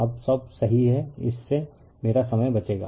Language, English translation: Hindi, Now all are correct it will save my time